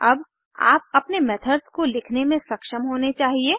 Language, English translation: Hindi, Now you should be able to write your own methods